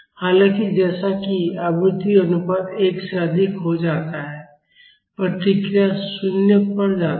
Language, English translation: Hindi, However, as the frequency ratio goes higher than 1, the response goes to 0